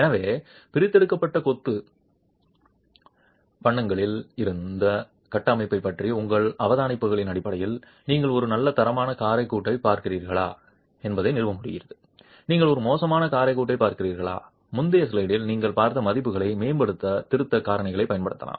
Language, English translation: Tamil, So, if based on your observations on the structure from the extracted masonry course, you are able to establish are you looking at a good quality motor joint, are you looking at a poor motor joint, then you can actually use correction factors to improve the values that you saw in the previous slide